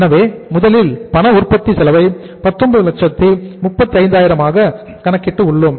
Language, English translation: Tamil, So we have calculated the cash manufacturing cost first which works out as 19,35,000